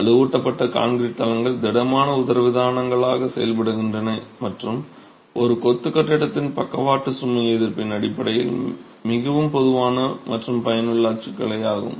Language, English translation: Tamil, The reinforced concrete floors act as rigid diaphragms and is a very common and useful typology in terms of even the lateral load resistance of a masonry building